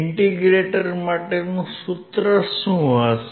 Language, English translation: Gujarati, What is the formula of an integrator